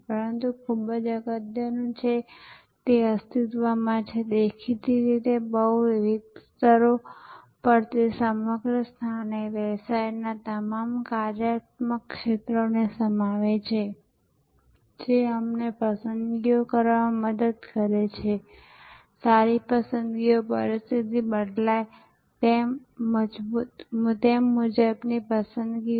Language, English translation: Gujarati, But, very importantly it exists; obviously, at multiple levels, it encompasses the whole organization, all the functional areas of the business, it helps us to make choices, good choices, wise choices as conditions change